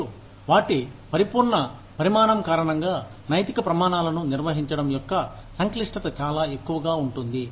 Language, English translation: Telugu, And, because of their sheer size, the complexity of managing ethical standards, becomes very high